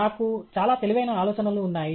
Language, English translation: Telugu, I have lot of brilliant ideas